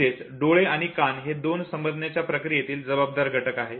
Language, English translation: Marathi, So, I and ears both are responsible for the process of perception